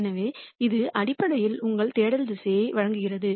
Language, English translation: Tamil, So, that basically gives you the search direction